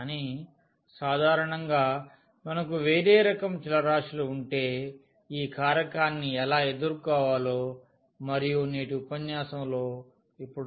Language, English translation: Telugu, But in general, if we have any other type of change of variables then what how to deal with this factor and we will see now in today’s lecture